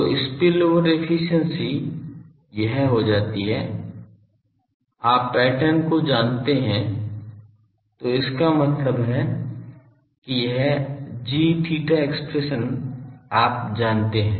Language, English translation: Hindi, So, spillover efficiency becomes with this value spillover efficiency will you can now you know the pattern; so that means, this g theta expression you know